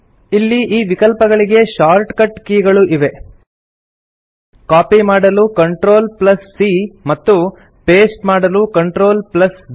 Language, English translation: Kannada, There are shortcut keys available for these options as well CTRL+C to copy and CTRL+V to paste